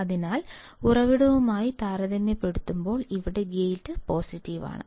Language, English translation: Malayalam, So, here if I have gate which is positive compared to source